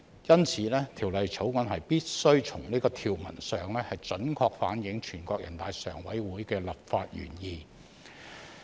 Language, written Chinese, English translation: Cantonese, 因此，《條例草案》必須從條文上準確反映全國人大常委會的立法原意。, Therefore the Bill must accurately reflect in its provisions the legislative intent of NPCSC